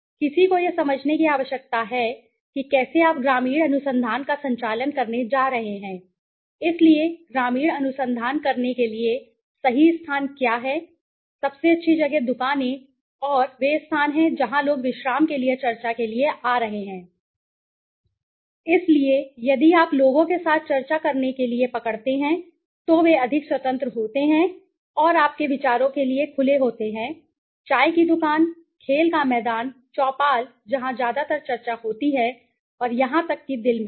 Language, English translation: Hindi, One needs to understand how you are going to conduct the rural research so what are the right locations for conducting the research rural research, the best places are the shops and the places where people are coming for a discussion for relaxation right, so if you get hold of people to discuss with them they are more free and open to your ideas okay tea stall, play ground, chopal where the mostly the discussion happens and even in heart